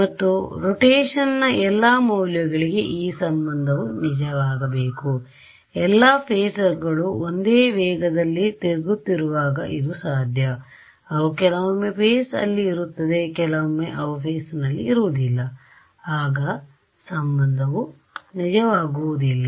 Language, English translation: Kannada, And this relation should be true for all values of rotation, when will that be possible, when all the phasors are rotating at the same speed otherwise sometimes they will be in phase, sometimes they will not be in phase and this relation will not be true